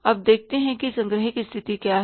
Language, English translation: Hindi, Now let's see what is the collection position